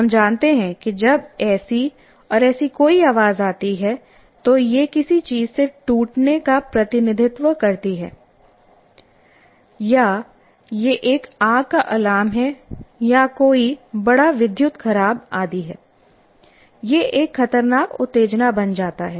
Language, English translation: Hindi, We know when such and such a sound comes, it represents something breaking down or there is a fire alarm or there is a big electrical burnout or something, whatever it is, it becomes a threatening stimulus